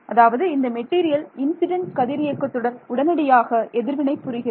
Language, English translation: Tamil, So, in other words, this is a material that reacts instantaneously to the incident radiation because the response is